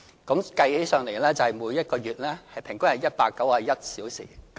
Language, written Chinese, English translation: Cantonese, 計算起來，即每一個月平均是191小時。, If we do some computations we will find that the average number of hours in a month is 191 hours